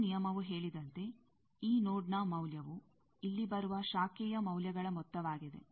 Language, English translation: Kannada, As the last rule said that, value of this node is sum of the branch values that are coming here